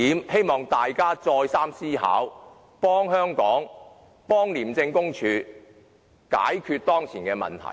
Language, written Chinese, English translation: Cantonese, 希望大家再三思考這一點，幫助香港及廉署解決當前的問題。, I hope Members will think twice and help Hong Kong and ICAC to solve the current problem